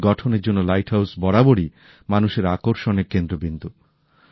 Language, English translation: Bengali, Because of their grand structures light houses have always been centres of attraction for people